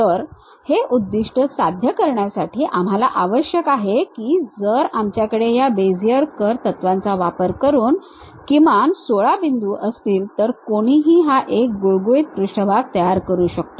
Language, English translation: Marathi, For that purpose what we require is, if we have minimum 16 points by using these Bezier curves principles, one can construct this one a smooth surface